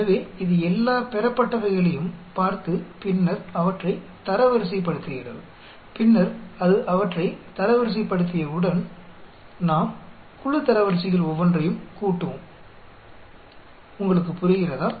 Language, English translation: Tamil, So, it looks at all the observations and then ranks them, and then once it ranks them we will sum up each of the group ranks, you understand